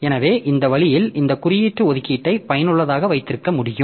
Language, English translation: Tamil, So, this way we can have this indexed allocation useful